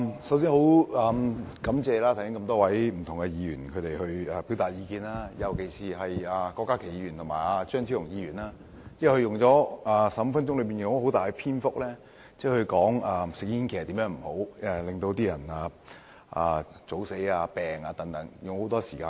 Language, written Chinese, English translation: Cantonese, 首先感謝剛才表達意見的多位議員，尤其是郭家麒議員和張超雄議員，他們在15分鐘內，花了很大篇幅說明吸煙的壞處，例如令人提早死亡或生病等。, First of all I thank the many Members who have expressed their views just now especially Dr KWOK Ka - ki and Dr Fernando CHEUNG who spent a great deal of time in their 15 - minute speeches to explain the harmful effects of smoking such as premature death or illnesses